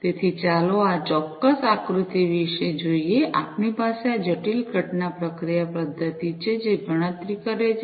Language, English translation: Gujarati, So, let us look at this particular figure, we have this complex event processing mechanism, which does the computation